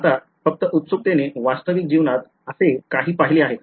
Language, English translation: Marathi, Now just out of curiosity have you seen something like this in real life